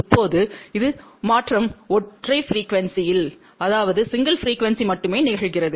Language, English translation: Tamil, Now, this transformation happens only at single frequency